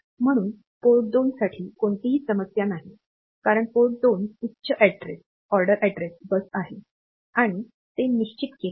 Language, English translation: Marathi, So, this is port 2 is of course, no problem because port 2 is the higher order address bus and that is fixed, but this lower order address bus